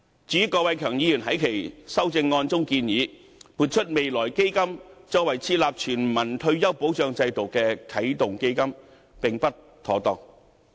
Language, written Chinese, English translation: Cantonese, 至於郭偉强議員在其修正案中，建議撥出未來基金作為設立全民退保制度的啟動基金，這是並不妥當的。, Mr KWOK Wai - keung proposes in his amendment to allocate money from the Future Fund as a start - up fund for the establishment of a universal retirement protection system